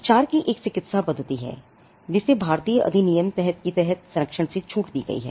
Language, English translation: Hindi, There is a medical method of treatment are exempted from protection under the Indian act